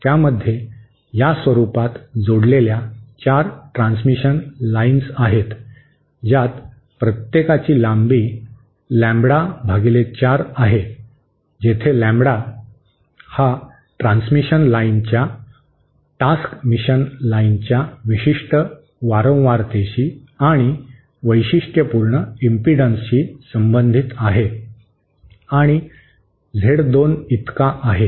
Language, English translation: Marathi, So, it consists of 4 transmission lines connected in this format, each having length lambda by4 where lambda corresponds to a particular frequency and characteristic impedances of the task mission lines along the vertical transmission line is Z 2